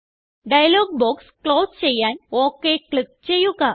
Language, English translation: Malayalam, Click on OK to close the dialog box